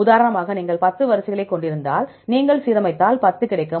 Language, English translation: Tamil, For example if you had 10 sequences, if you align you will get 10